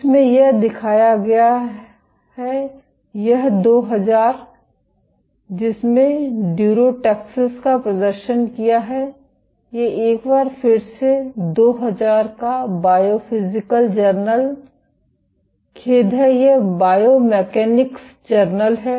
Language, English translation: Hindi, This is demonstrated sorry it is 2000 demonstrated durotaxis, this is a 2000 again BiophysJ sorry this is Journal of Biomechanics